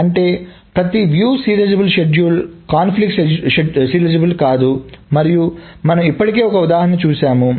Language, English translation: Telugu, So that means that not every view serializable schedule is conflict serializable and we already saw an example